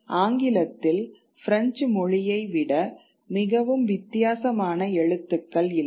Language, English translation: Tamil, English doesn't have a very different alphabet than French